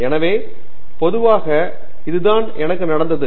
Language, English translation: Tamil, So, this is typically how it happens